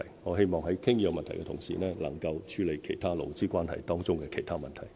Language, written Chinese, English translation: Cantonese, 我希望在討論這個問題的同時，能夠處理勞資關係當中的其他問題。, I hope that other problems in labour relations can also be tackled during the discussion on this issue